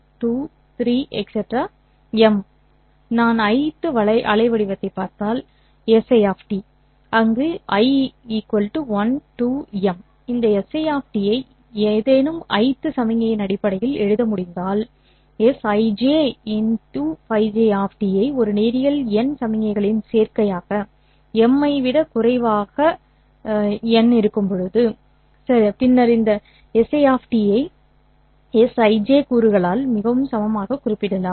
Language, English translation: Tamil, If I am looking at the Ieth waveform S I of T where I is equal to 1, 2, up to M, if I can write this S I T in terms of any I th signal as say SI J, Phi J of T as a linear combination of N signals, n less than M, then this SI of T can be very uniquely specified by SIJ components